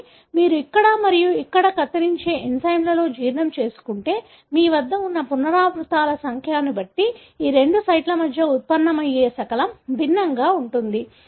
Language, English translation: Telugu, But, if you digest with an enzyme which cuts here and here, the resulting fragment that is generated between these two sites are going to be different, depending on the number of repeats that you have